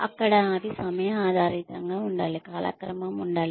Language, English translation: Telugu, There, they should be time based, there should be a timeline